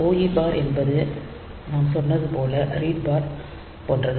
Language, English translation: Tamil, So, OE bar is same as read bar as we said